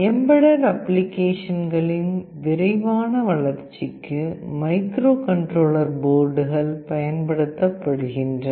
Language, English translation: Tamil, Microcontroller boards are used for fast development of embedded applications